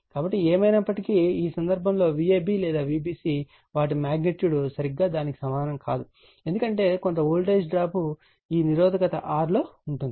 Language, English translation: Telugu, So, anyway, so in this case your, what you call in this case V ab or V bc, their magnitude not exactly equal to the your what you call the because there is some voltage drop will be there in this R in the resistance right